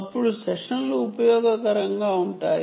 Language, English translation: Telugu, even then, the the sessions are useful